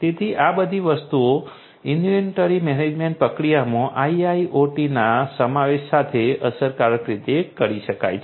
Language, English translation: Gujarati, So, all of these things can be done efficiently with the incorporation of IIoT in the inventory management process